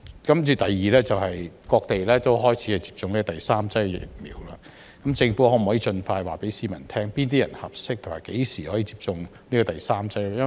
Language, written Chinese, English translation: Cantonese, 此外，有些地方已開始接種第三劑疫苗，政府可否盡快告訴市民，哪些人合適，以及何時可以接種第三劑疫苗呢？, In addition some places have started to administer the third dose of vaccine . Can the Government tell the public as soon as possible who are suitable and when they can receive the third dose of vaccine?